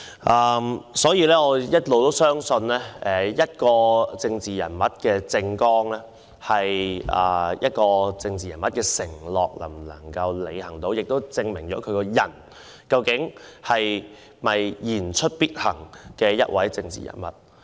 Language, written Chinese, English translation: Cantonese, 我一直相信一個政治人物的政綱，就是那人的承諾，而能否履行其承諾決定那人是否言出必行。, It has been my belief that the manifesto of a political figure contains his or her pledges and whether or not he or she can honour these pledges determines if that person walks the talk